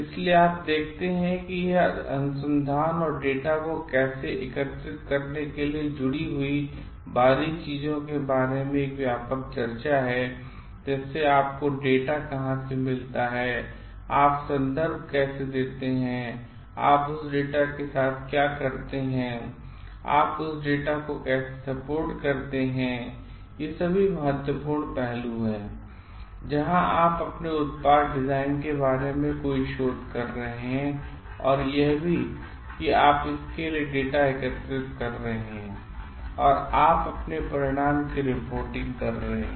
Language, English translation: Hindi, So, you see this is an extensive discussion about the research and this finer things connected to how to collect data, like where do you get data from, how do you give references and like what you do with that data, how do you report about that data, these are very important aspects where you are doing any research with respect to your product design and also like you are collecting data for it or you arr reporting your results